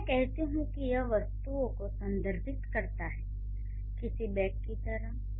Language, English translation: Hindi, When I say it refers to the objects, something like backpack, I'm carrying a backpack